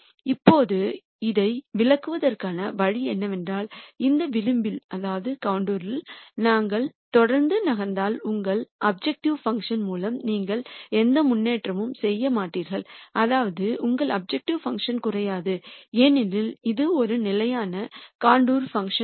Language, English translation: Tamil, Now, the way to interpret this is to say if we were to keep moving on this contour you would make no improvement through your objective function that is your objective function will not decrease because it is a constant contour plot